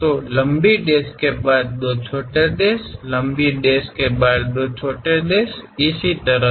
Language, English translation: Hindi, So, long dash followed by two small dashes, long dash followed by two dashes and so on